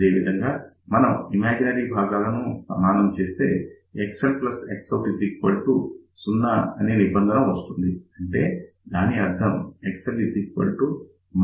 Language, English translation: Telugu, Similarly, if we equate imaginary parts, then we get the condition X L plus X out equal to 0, so that means, X L is now equal to minus of X out